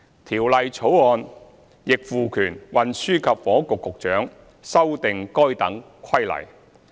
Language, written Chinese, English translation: Cantonese, 《條例草案》亦賦權運輸及房屋局局長修訂該等規例。, The Bill also empowers the Secretary for Transport and Housing power to amend such regulations